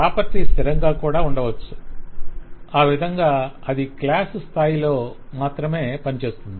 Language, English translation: Telugu, A property could be static so that it operates only at the class level